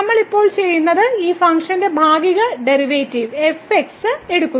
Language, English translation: Malayalam, So, what we are now doing we are taking the partial derivatives of this function